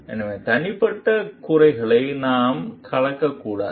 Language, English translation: Tamil, So, we should not mix personal grievances